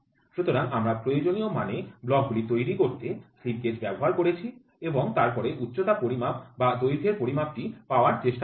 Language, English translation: Bengali, So, we are using slip gauges to build up the blocks to the required dimension and then try to find out the height measurement or the length measurement